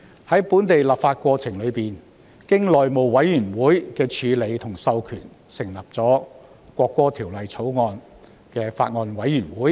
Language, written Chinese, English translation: Cantonese, 在本地立法過程中，經內務委員會授權成立了法案委員會。, During the local legislation process the House Committee agreed to form a Bills Committee to scrutinize the Bill